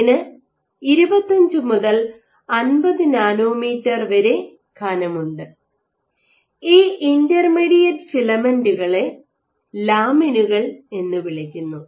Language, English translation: Malayalam, So, this is 25 to 50, nanometer thick and these intermediate filaments are called lamins